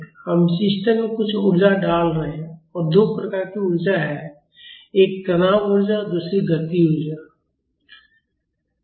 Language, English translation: Hindi, We are inputting some energy to the system and there are two types of energies, one is strain energy another is kinetic energy